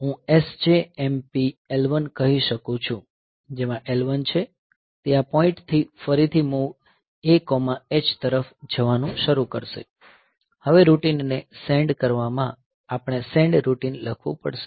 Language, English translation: Gujarati, So, I can say SJMP L 1, wherein L 1, so it will do start going from this point onwards again move A comma H, now the send routine we have to write the send routine